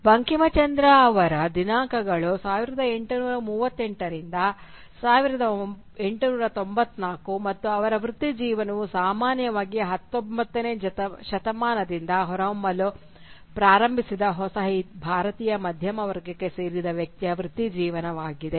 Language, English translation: Kannada, Bankimchandra’s dates are 1838 to 1894 and his career is typically that of an individual belonging to the new Indian middle class that started emerging from the 19th century